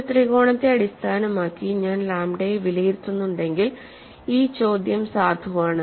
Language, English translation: Malayalam, See, if I evaluate lambda based on a triangle, then the question is valid why triangle is so special